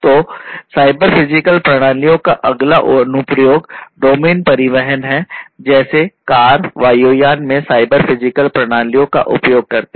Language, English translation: Hindi, So, the next application domain of cyber physical systems and their use is transportation cars vehicles in general aircrafts they all use cyber physical systems